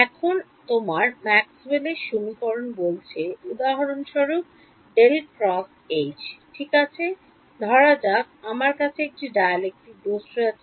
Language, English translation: Bengali, Now, your Maxwell’s equation says for example, curl of H right and supposing I have a dielectric material